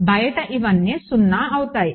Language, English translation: Telugu, So, these are all 0 outside